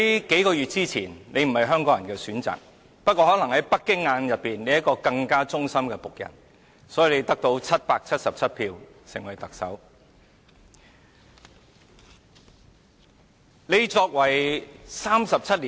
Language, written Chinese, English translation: Cantonese, 數月前，你不是香港人的選擇，不過可能在北京眼中，你是一個更忠心的僕人，因此你得到777票成為特首。, A few months ago you were still elected the Chief Executive by 777 votes although you were not Hong Kong peoples choice probably because in the eyes of Beijing you were a more loyal servant